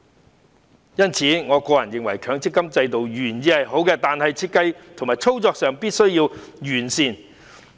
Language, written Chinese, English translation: Cantonese, 我認為，雖然強積金制度的原意是好的，但設計和操作上必須加以完善。, In my view although the original intent of the MPF System is good improvement must be made in respect of its design and operation